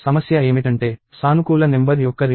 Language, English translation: Telugu, So, the problem is finding the reverse of a positive number